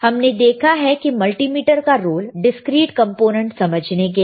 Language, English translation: Hindi, We have seen the role of multimeter to understand the discrete components to understand the discrete components